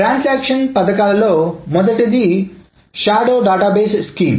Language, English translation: Telugu, The first one is called a shadow database scheme